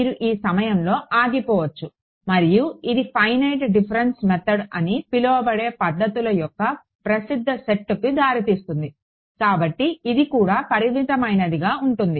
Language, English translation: Telugu, You could stop at this point and this gives rise to a popular set of approximate methods which are called finite difference methods; so, this also leads to finite ok